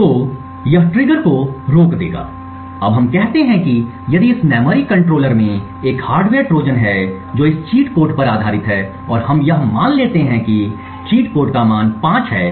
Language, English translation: Hindi, So, this would prevent the triggers now let us say that if in this memory controller there is a hardware Trojan which is based on this cheat code and let us assume that the cheat code has a value of let us say 5